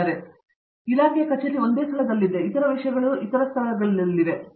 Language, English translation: Kannada, So, the department office is in one place, other things are in other places